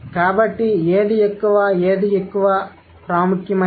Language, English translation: Telugu, So, which one is more, which one is, which one is more prominent